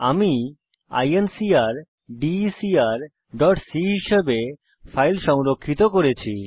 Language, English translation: Bengali, I have saved my file as incrdecr.c